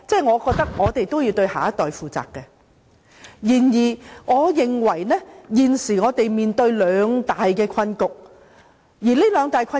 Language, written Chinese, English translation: Cantonese, 我覺得我們也要對下一代負責，然而，我認為現時我們面對兩大困局，而這兩大困局......, I think we should be responsible to the next generation . However I think we are currently faced with two deadlocks which arethe Financial Secretary is with us now